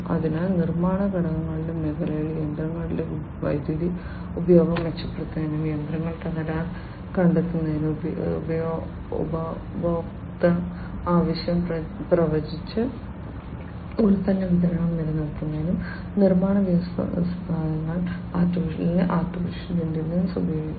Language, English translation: Malayalam, So, in the manufacturing factors sector, manufacturing industries AI could be used to improve machines power consumption, detection of machinery fault, maintaining product supply by predicting consumer demand